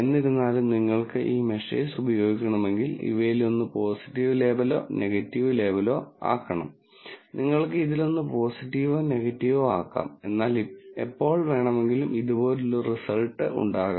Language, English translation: Malayalam, However, if you want to use, these measures, you have to make one of these a positive label and the one, a negative label, you could make either one positive or negative, but whenever, there is a result like this